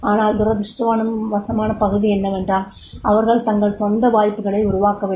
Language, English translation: Tamil, But unfortunate parties, they do not create their own opportunities